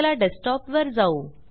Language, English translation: Marathi, Lets go to the Desktop